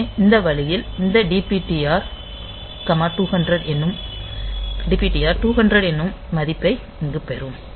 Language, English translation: Tamil, So, that way this DPTR will get the value 200 in that case